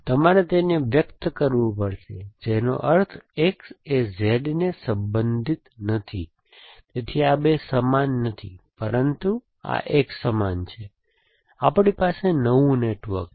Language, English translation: Gujarati, So, you have to express it, represented which means X is not related Z, so these two are not equal to, but this one is equal to, so we have new network